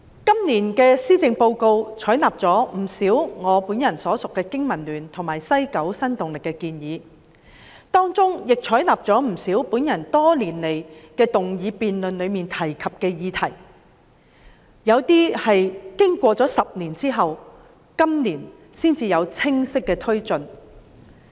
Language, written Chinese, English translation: Cantonese, 今年的施政報告採納了不少我本人所屬的香港經濟民生聯盟及西九新動力提出的建議，以及我多年來在議案辯論中提及的不少建議，部分建議經過10年，至今年才有清晰的推進。, The Policy Address this year has taken on board a number of proposals put forth by the Business and Professionals Alliance for Hong Kong and the Kowloon West New Dynamic to which I belong as well as the many proposals proposed by me during the motion debates over the years . Some of the proposals were put forth 10 years ago but clear progress is made only this year